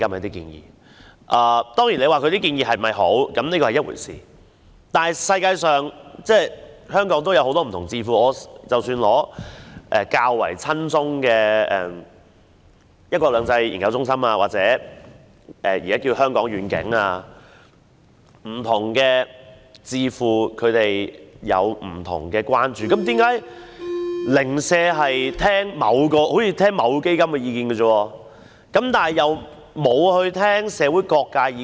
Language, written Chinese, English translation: Cantonese, 當然，建議的好與壞是另一回事，但全世界及香港本土也有許多不同智庫，即使是較為親中的一國兩制研究中心或現已易名的香港願景也好，不同智庫有不同的關注，為何政府單單聆聽某個團體基金的意見而忽略社會各界的意見？, Whether the proposals are good or bad is another matter but there are many different think tanks both at home and abroad . And even the One Country Two Systems Research Institute and the Hong Kong Vision like all other think tanks do have their own concerns . Why did the Government only heed the views of this particular organization while ignoring the views of all quarters of society?